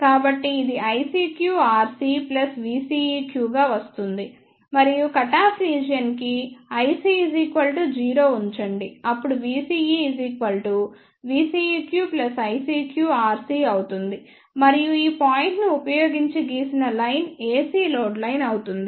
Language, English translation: Telugu, So, this will come out to be i CQ plus v CEQ and for the cutoff region put i C equals to 0 then v CE will be v CEQ plus I cq r c, and the line drawn by using these point will be the AC load line